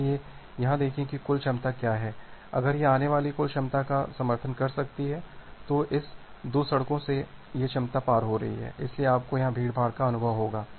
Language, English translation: Hindi, So, see here the total capacity that it can support if the total incoming capacity that from this 2 roads are exceeding this capacity so, you will experience the congestion here